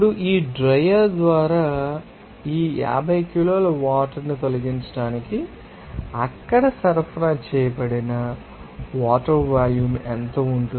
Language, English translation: Telugu, Now, can you see then, what will be the amount of water then supplied there to remove all these 50 kg of you know, water by this dryer